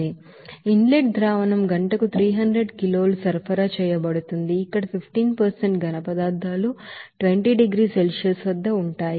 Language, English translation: Telugu, Whereas inlet solution there 300 kg per hour to be supplied where 15% solids will be there at 20 degrees Celsius